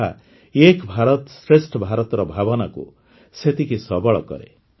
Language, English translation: Odia, They equally strengthen the spirit of 'Ek BharatShreshtha Bharat'